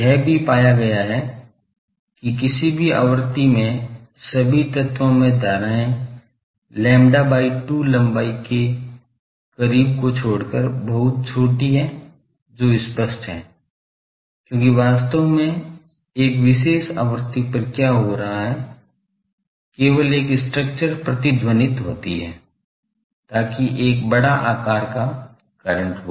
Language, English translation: Hindi, It has also been found that at a given frequency the currents in all elements, except those that are close to lambda by two long are very small that is obvious, because actually what is happening at a particular frequency only one structure is resonating, so that one is having sizable current